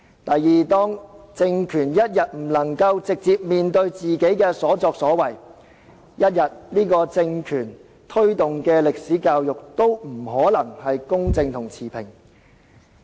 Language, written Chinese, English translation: Cantonese, 第二，當政權仍然不肯直接面對自己的所作所為，由這個政權推動的歷史教育不可能公正持平。, Secondly when the regime still refuses to face up to it has done the history education promoted by such a regime will not possibly be fair and impartial